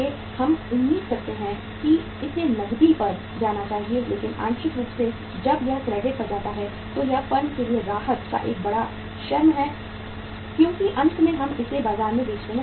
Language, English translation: Hindi, We expect that it should go on cash but partly when if it goes on the credit also it is a big shy of relief to the firm because finally we are able to sell it in the market